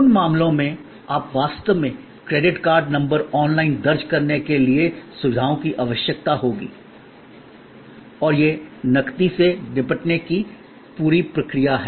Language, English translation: Hindi, In those cases, you can actually, there will facilities will be needed for entering credit card number online and this whole process of cash handling, change